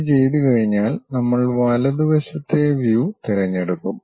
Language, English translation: Malayalam, Once that is done we will pick the right side view